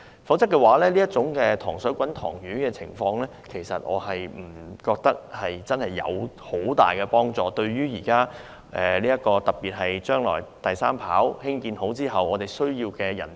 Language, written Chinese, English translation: Cantonese, 否則，我認為這種"塘水滾塘魚"的做法對行業不會有很大幫助，特別是將來興建第三跑道後，我們難以覓得需要的人才。, Otherwise it is just a confined market and will not be of great help to the industry in particular with the construction of the third runway in the future it will be more difficult for us to secure the talents we need